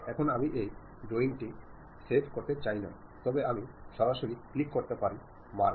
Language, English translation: Bengali, Now, I do not want to save this drawing, then I can straight away click mark it